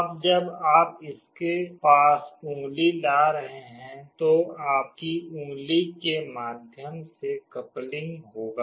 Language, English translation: Hindi, Now when you are bringing a finger near to it, there will be a coupling through your finger